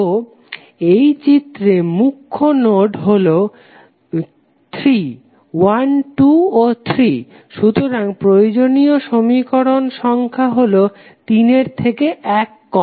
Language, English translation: Bengali, So, in this figure the principal nodes for 3; 1, 2 and 3, so number of equations required would be 3 minus 1